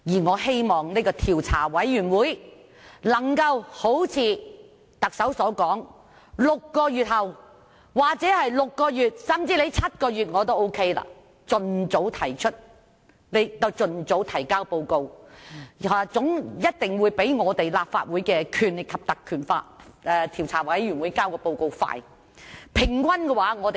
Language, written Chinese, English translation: Cantonese, 我希望政府的調查委員會能夠如特首所說 ，6 個月後——或甚至7個月後我也接受——盡早提交報告，一定會較立法會根據《條例》成立專責委員會更快。, I hope the Commission of Inquiry can submit its report expeditiously in six months as announced by the Chief Executive . I will also find it acceptable if the report is submitted after seven months . The Commission of Inquiry will certainly complete its work faster than the select committee set up by the Legislative Council under the Ordinance